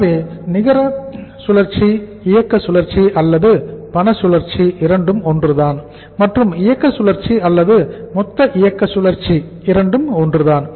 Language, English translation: Tamil, So net operating cycle or cash cycle is the same and operating cycle or the gross operating cycle is the same